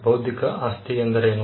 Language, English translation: Kannada, What is an intellectual property